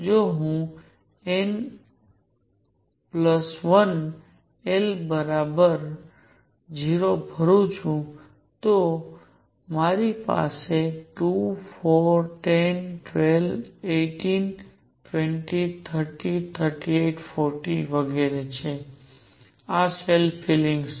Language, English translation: Gujarati, If I fill only up to n equals 1 l equals 0, I have 2, 4, 10, 12, 18, 20, 30, 38, 40 and so on, these are the shell fillings